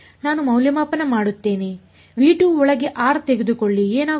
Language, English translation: Kannada, I evaluate take r inside V 2 what will happen